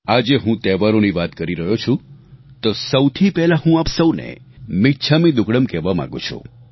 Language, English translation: Gujarati, Speaking about festivals today, I would first like to wish you all michhamidukkadam